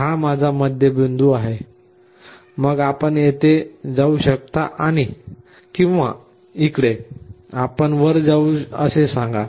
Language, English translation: Marathi, This is my middle point then you either go here or here, let us say I have to go up